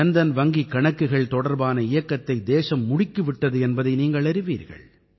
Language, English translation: Tamil, You are aware of the campaign that the country started regarding Jandhan accounts